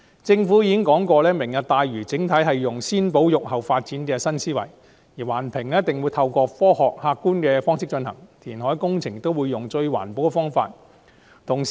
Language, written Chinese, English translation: Cantonese, 政府已經表明，"明日大嶼"整體使用"先保育、後發展"的新思維，環評會透過科學客觀的方式進行，填海工程也會使用最環保的方法。, The Government has clearly stated that it would adopt the new idea of conservation first development later in taking forward the Lantau Tomorrow project; environmental impact assessments would be conducted in a scientific and objective manner and reclamation works would be carried out in the most environmentally responsible way